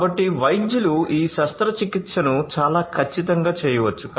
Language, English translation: Telugu, So, the doctors can perform this surgery very precisely accurately